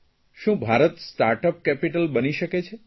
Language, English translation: Gujarati, Can India become a "Startup Capital'